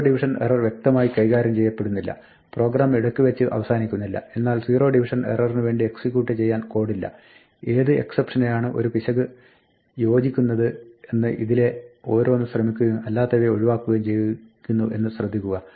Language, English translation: Malayalam, The zero division error will not be explicitly handled, the program will not abort, but there will be no code executed for the zero division error; it is not that it tries each one of these in turn it will try whichever except matches the error and it will skip the rest